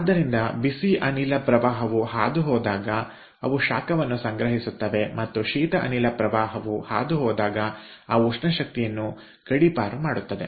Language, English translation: Kannada, so when the hot gas stream passes they will store heat and when the cold gas stream passes they will relegate